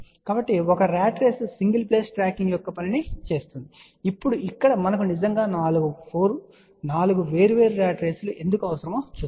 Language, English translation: Telugu, So, one ratrace will do the job of single plane tracking, now here we need actually 4 different ratraces let us see why